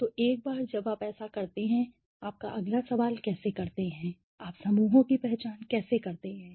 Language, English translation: Hindi, So, once you do that how do you the next question was how do you identify the clusters